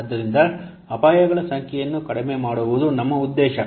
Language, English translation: Kannada, So our objective is to reduce the number of risks